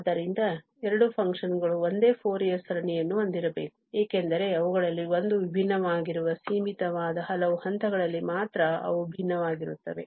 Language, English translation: Kannada, So, the two functions must have the same Fourier series because they are differing only at finitely many points where the one of them is this discontinuous